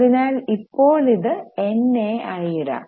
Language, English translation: Malayalam, So, we will put it as NA